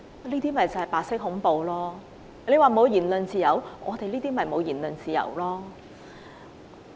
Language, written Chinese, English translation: Cantonese, 那些同事說沒有言論自由，我們便正正沒有言論自由。, Those colleagues said there was no freedom of speech and what happened to us precisely indicated an absence of freedom of speech